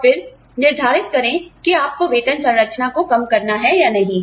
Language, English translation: Hindi, And, then decide, whether one wants to compress the pay structure, or not